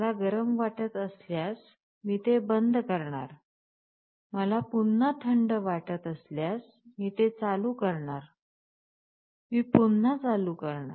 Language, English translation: Marathi, I am turning it off if I feel hot, I turn it on if I feel cold again, I turn it on again